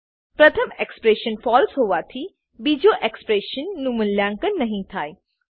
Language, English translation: Gujarati, Since the first expression is false, the second expression will not be evaluated